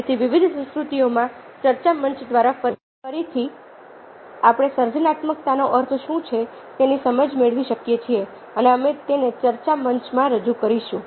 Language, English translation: Gujarati, ok, so that again, through the discussion forum, in different cultures, we can get ne have insights into what creativity means and we will put it up in the discussion forum